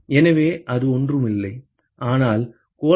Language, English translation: Tamil, So, that is nothing, but A2 by the surface area of the sphere